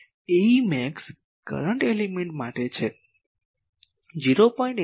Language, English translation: Gujarati, A e max is for current element 0